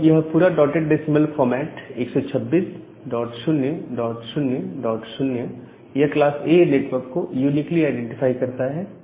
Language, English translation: Hindi, So, this entire thing which is in dotted decimal format 126 dot 0 dot 0 dot 0 that uniquely identify a class A network